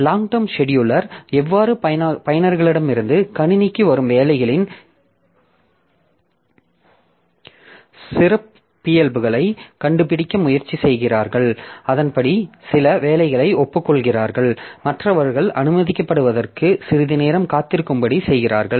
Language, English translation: Tamil, So, long term scheduler, it tries to find out the characteristic of the jobs that are coming for the system from different users and accordingly admit some of the jobs whereas making others to wait for some time to be admitted